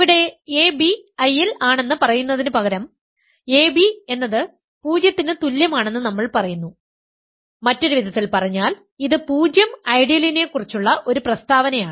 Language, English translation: Malayalam, Here, instead of asking for ab in I, we are saying ab is equal to 0; in other words, it is a statement about the 0 ideal